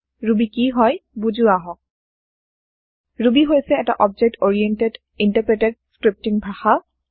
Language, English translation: Assamese, Ruby is an object oriented, interpreted scripting language